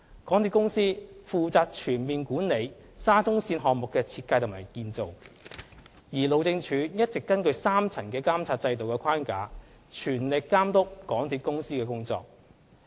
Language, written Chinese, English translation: Cantonese, 港鐵公司負責全面管理沙中線項目的設計及建造，而路政署一直根據3層監察制度的框架，全力監督港鐵公司的工作。, While MTRCL is responsible for the overall management of the design and construction of the SCL project HyD has been closely overseeing the work of MTRCL under a three - tiered monitoring mechanism